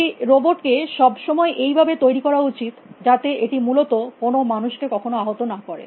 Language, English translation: Bengali, Do a robot must always we built in such a fashion that never harm human being essentially